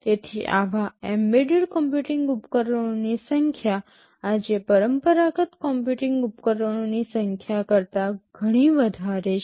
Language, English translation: Gujarati, So, the number of such embedded computing devices far outnumber the number of conventional computing devices today